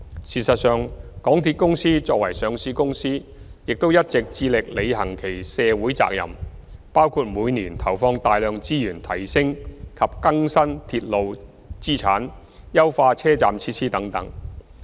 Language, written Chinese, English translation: Cantonese, 事實上，港鐵公司作為上市公司亦一直致力履行其社會責任，包括每年投放大量資源提升及更新鐵路資產、優化車站設施等。, In fact as a listed company MTRCL has also been committed to fulfilling its social responsibilities including investing substantial resources each year in upgrading and renewing its railway assets and enhancing station facilities